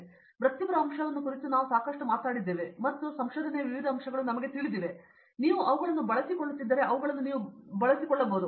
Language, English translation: Kannada, We spoke a lot about the professional aspect of it and how you know may be various aspects of research have been, you became familiar with them you utilize them and so on